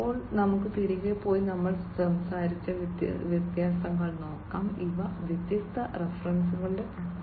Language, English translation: Malayalam, Now, let us go back and look at the differences that we were talking about, these are the list of different references